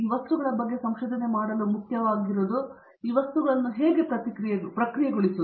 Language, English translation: Kannada, As important to do research on these materials; how to process these materials